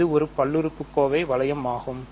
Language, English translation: Tamil, So, this is a polynomial ring